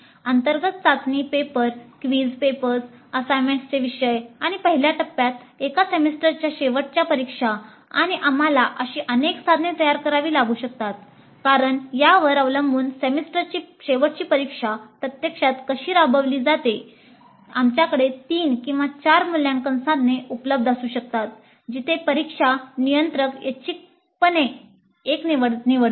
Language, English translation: Marathi, Internal assessment test papers, quiz papers, the assignment topics and entire one institute even the semistrate examinations and we may have to create multiple such instruments because depending upon how the semester examinations is actually implemented we may have to have three or four assessment instruments available where the controller of examination picks up one at random